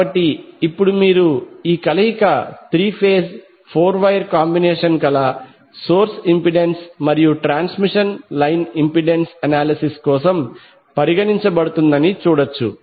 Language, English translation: Telugu, So now you can see this particular combination is three phase four wire arrangement were the source impedance as well as the transmission line impedance is considered for the analysis